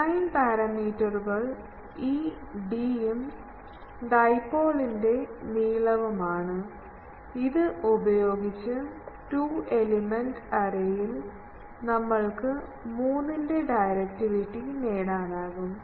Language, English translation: Malayalam, Design parameters are this d and also the length of the dipole; that is also another parameter, with that in a these two element array you can get a directivity of 3 can be achieved